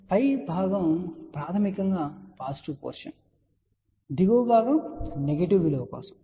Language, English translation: Telugu, So, the above portion is basically for positive portion, the lower portion is for the negative value